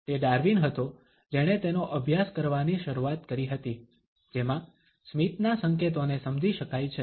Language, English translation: Gujarati, It was Darwin who had initiated is studied in what can be understood is the signs of a smiling